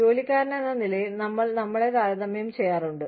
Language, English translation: Malayalam, But, then as employees, we tend to compare ourselves